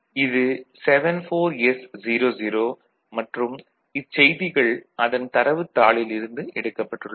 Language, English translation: Tamil, So, this is 74S00, again taken from the data sheet